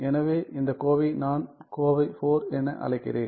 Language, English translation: Tamil, So, I am going to call this expression as expression IV